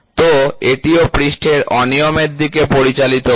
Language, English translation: Bengali, So, this also leads to surface irregularities